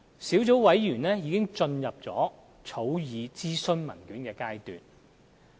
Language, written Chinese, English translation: Cantonese, 小組委員會現時已進入草擬諮詢文件的階段。, The Sub - committee is now at the stage of drafting the consultation papers